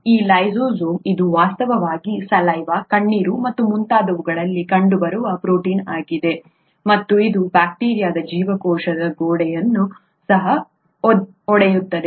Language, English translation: Kannada, This lysozyme, itÕs actually a protein that is found in saliva, tears and so on; and it also breaks down the cell wall of bacteria